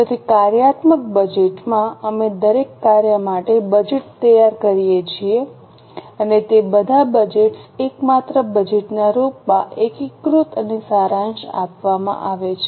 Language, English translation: Gujarati, So, in the functional budget, we prepare budgets for each function and all those budgets are consolidated and summarized in the form of a master budget